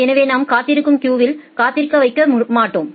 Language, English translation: Tamil, So, we do not keep them waiting inside the waiting queues